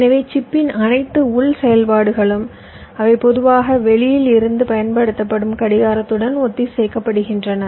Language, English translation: Tamil, so all the internal activities of the chips, of the chip, they are synchronized with respect to the clock that is applied from outside